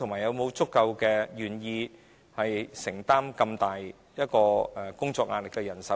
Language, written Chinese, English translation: Cantonese, 有否足夠願意承擔工作壓力如此大的人手？, Do we have enough personnel who are willing to bear so much work pressure?